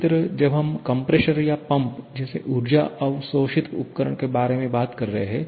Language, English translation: Hindi, Similarly, when we are talking about energy absorbing device like a compressor or a pump